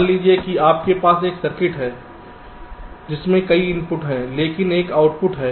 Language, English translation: Hindi, but if i have a circuit like this, well, lets say, there are multiple inputs and also multiple outputs